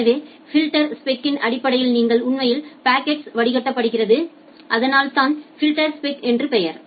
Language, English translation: Tamil, So, based on the filterspec you actually filter out the packets that is why the name filterspec